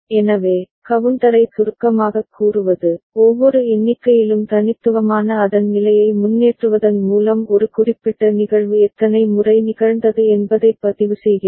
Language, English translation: Tamil, So, to summarize counter keeps a record of the number of times a particular event has occurred by advancing its state which is unique for each count